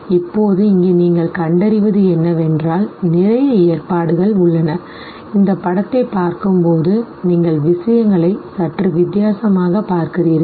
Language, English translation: Tamil, Now here what you find is that there are a whole lot of arrangements and then you have a, when you look at this very image, you look at things little differently